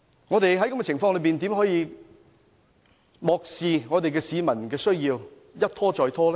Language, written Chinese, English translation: Cantonese, 我們在這樣的情況下，怎能漠視市民需要，一拖再拖呢？, Under these circumstances how can we ignore the peoples needs and allow further delays?